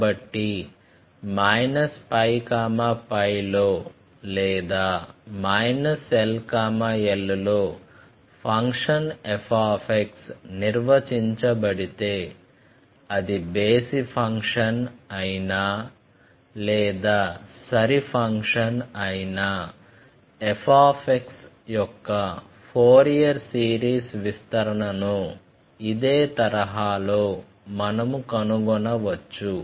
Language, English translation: Telugu, Therefore, if a function f x is defined either in minus pi to pi, either in minus l to l, or if it is an odd function or if it is an even function, we can find out the Fourier series of these functions like this way